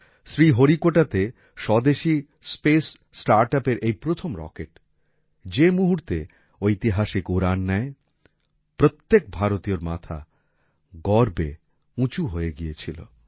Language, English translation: Bengali, As soon as this first rocket of the indigenous Space Startup made a historic flight from Sriharikota, the heart of every Indian swelled with pride